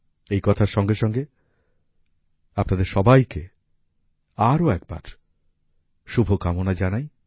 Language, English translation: Bengali, With this, once again many best wishes to all of you